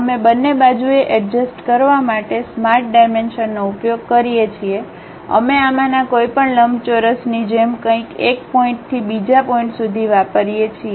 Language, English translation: Gujarati, We use smart dimensions to adjust on both sides we use something like a any of these corner rectangle from one point to other point